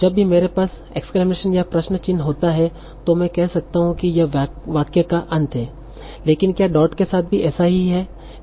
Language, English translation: Hindi, So whenever I have an exclamation or question mark, I can say probably this is the end of the sentence